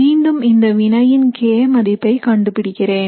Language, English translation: Tamil, And then I determine again the k value for this reaction